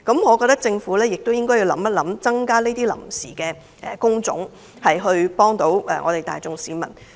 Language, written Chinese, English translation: Cantonese, 我認為，政府應認真考慮增加這些臨時職位，協助大眾市民。, I therefore think that the Government should seriously consider increasing these temporary jobs to help the general public